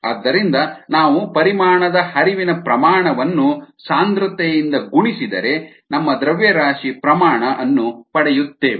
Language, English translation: Kannada, therefore, if we multiply the volumetric flow rate by the density, we would get our mass rate, therefore f